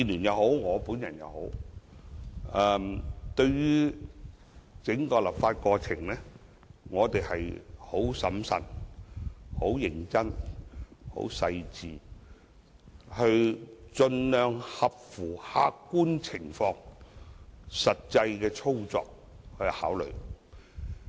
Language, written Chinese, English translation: Cantonese, 在整個立法過程中，民建聯和我皆很審慎、認真和細緻，盡量合乎客觀情況和實際操作給予考慮。, During the entire legislative process DAB and I have been very prudent serious and detail - minded seeking to give consideration based on the objective reality and actual operation as far as possible